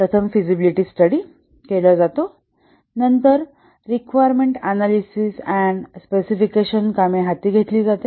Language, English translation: Marathi, First the feasibility study is undertaken, then requirements analysis and specification work is undertaken